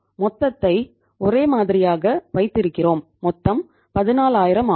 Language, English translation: Tamil, We are keeping the total as the same and the total is that is 14000